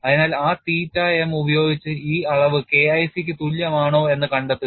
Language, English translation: Malayalam, So, use that theta m and find out whether this quantity is equal to K1 c or not